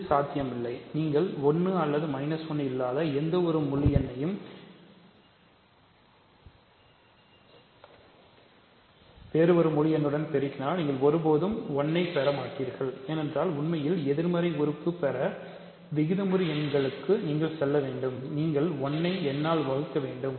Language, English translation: Tamil, So, this is not possible, you multiply any integer n which is not 1 or minus 1 with any other integer you will never get 1, because the inverse really you need to go to rational numbers to get the inverse you have to take 1 by n